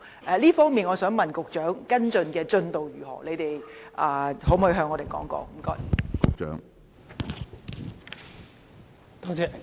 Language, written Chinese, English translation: Cantonese, 在這方面，我想問局長，跟進的進度如何，可否告訴我們？, May I ask the Secretary the progress of the follow - up in this aspect? . Can he tell us about it?